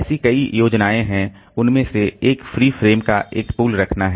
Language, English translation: Hindi, One of them is to keep a pool of free frames